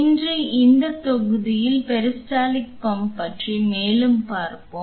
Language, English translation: Tamil, Today in this module we will see more about peristaltic pump